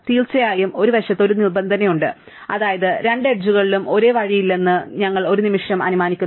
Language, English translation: Malayalam, Of course, there is a side condition which is that we are assuming for a moment at no two edges have the same way